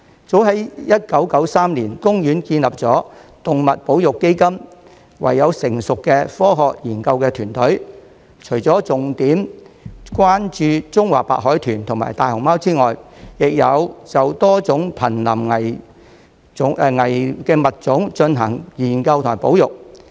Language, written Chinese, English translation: Cantonese, 早在1993年，公園建立了動物保育基金，擁有成熟的科學研究團隊，除了重點關注中華白海豚與大熊貓外，亦有就多種瀕危物種進行研究及保育。, As early as in 1993 OP established its conservation foundation and has a well - established scientific research team . Apart from focusing on Chinese white dolphins and giant pandas efforts have also been made to carry out studies and conservation projects on many endangered species